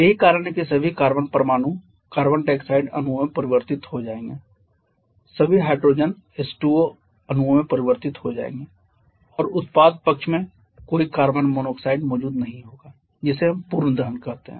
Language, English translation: Hindi, All the hydrogen will get converted to H2O molecules and on the product side there will be no carbon monoxide present that is what we call it complete combustion